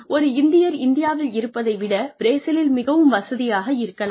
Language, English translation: Tamil, An Indian may be more comfortable in Brazil than, he may be in India